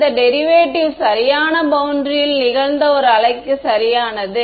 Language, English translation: Tamil, And this derivation is correct for a in wave that is incident on the right boundary